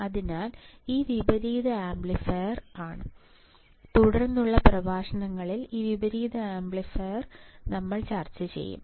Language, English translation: Malayalam, So, this is inverting amplifier, we will discuss this inverting amplifier in the subsequent lectures, right